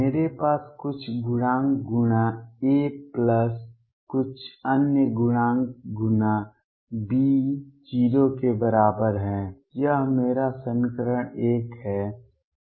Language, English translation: Hindi, I have some coefficients times a plus some other coefficient times B is equal to 0; that is my equation 1